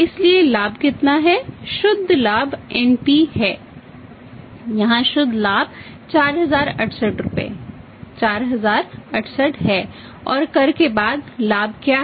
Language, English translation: Hindi, So, how much is the profit net profit is NPV net profit here is 4068 rupees 4068 and what is the profit after tax